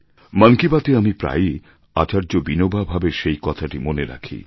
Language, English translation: Bengali, In Mann Ki Baat, I have always remembered one sentence of Acharya Vinoba Bhave